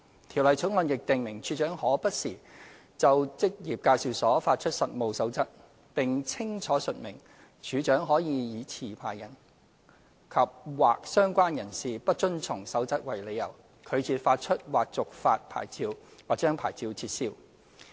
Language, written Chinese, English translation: Cantonese, 《條例草案》亦訂明處長可不時就職業介紹所發出實務守則，並清楚述明處長可以以持牌人及/或相關人士不遵從守則為理由，拒絕發出或續發牌照，或將牌照撤銷。, The Bill also provides for the Commissioner for Labour to issue from time to time codes of practice for employment agencies and makes clear that non - compliance with the relevant code by the licensee andor associates will be a ground on which the Commissioner for Labour may refuse to issue or renew or revoke a licence